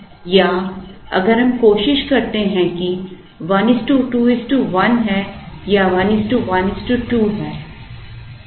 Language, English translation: Hindi, Or if we try 1 is to 2 is to1, or 1 is to1 is to 2